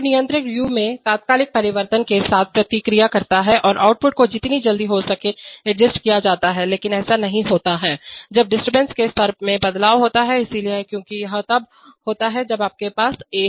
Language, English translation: Hindi, So the controller also responds with an instantaneous change in u and the output gets adjusted as quickly as possible but that does not happen, when there is a change in disturbance level, so, because this the even if you have a